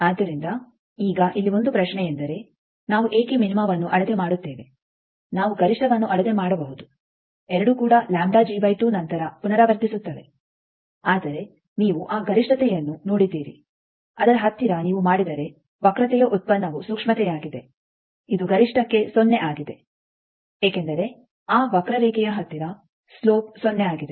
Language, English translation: Kannada, So, now, here one question, that why we not why we measured the minima's we could have measured the maxima also both of them repeats after a lambda g by 2, but you have seen that maxima near that if you do the derivative of the curve which is a sensitivity for maxima it is 0 Because near that curve the slope is 0